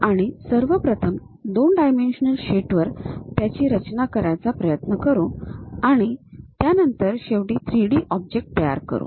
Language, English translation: Marathi, We first try to construct on two dimensional sheet, interpret that and from there finally, construct that 3D objects